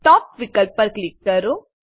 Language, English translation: Gujarati, Click on the Top option